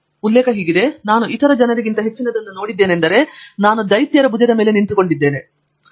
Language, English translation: Kannada, And is something I am sure many of you heard of it says "If I have seen further than other men, it is because I have stood on the shoulder of giants